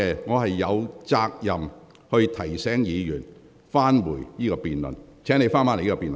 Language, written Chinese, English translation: Cantonese, 我有責任提醒議員返回這項辯論的議題。, I am obliged to remind Members to return to the subject of this debate